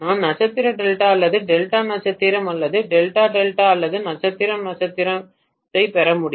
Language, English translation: Tamil, I would be able to get star delta or Delta star or Delta Delta or star star